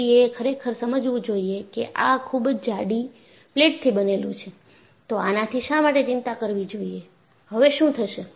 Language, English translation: Gujarati, So, one should really realize, I have made out of very thick plate, why should I worry, and what happened